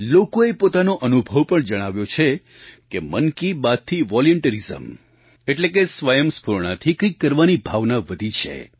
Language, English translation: Gujarati, People have shared their experiences, conveying the rise of selfless volunteerism as a consequence of 'Mann Ki Baat'